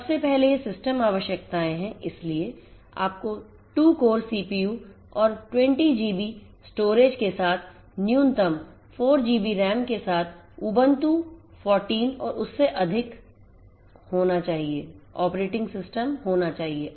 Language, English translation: Hindi, So, first of all these are the system requirements so, you need to have 1 to 14 and above with a minimum 4 GB RAM with 2 core CPU and 20 GB storage